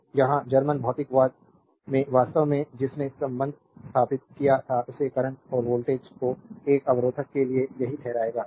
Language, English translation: Hindi, So, here German physicist actually who established the relationship between the current and voltage for a resistor, right